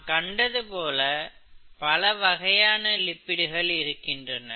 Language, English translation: Tamil, There are various types of lipids